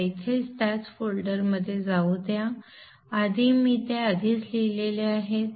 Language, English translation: Marathi, Let me go into the same folder here